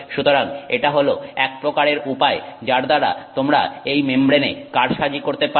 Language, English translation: Bengali, So, this is the kind of way in which you can manipulate this membrane